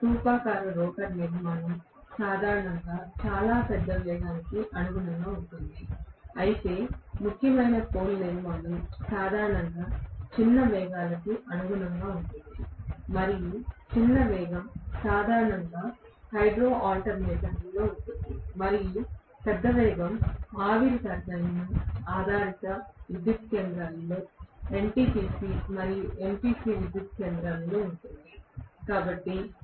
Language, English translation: Telugu, Cylindrical rotor structure generally conforms to very large velocity, whereas salient pole structure generally will correspond to smaller velocities and smaller speeds are generally in hydro alternator and larger speeds are normally in steam turbine based power stations that is NTPC and NPC power station